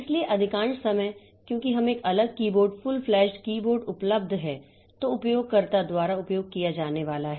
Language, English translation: Hindi, So, most of the time because we have got a separate keyboard, full fledged keyboard available which is going to be used by the user